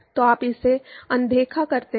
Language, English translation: Hindi, So, you ignore it